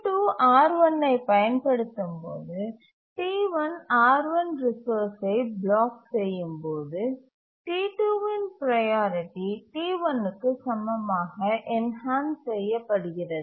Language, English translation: Tamil, When T2 is using R1 and T1 is blocking for the resource R1, T2's priority gets enhanced to be equal to T1 by the inheritance clause